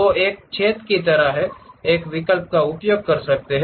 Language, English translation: Hindi, So, one can use a option like hole